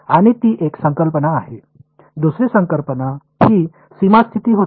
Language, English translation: Marathi, And that is one concept, the other concept was the boundary condition